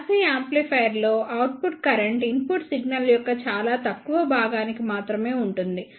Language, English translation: Telugu, In class C amplifier the output current is present for only very small portion of the input signal